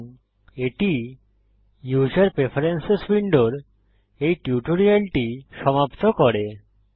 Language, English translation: Bengali, And that completes this tutorial on User Preferences